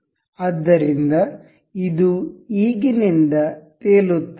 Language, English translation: Kannada, So, this will be floating now from now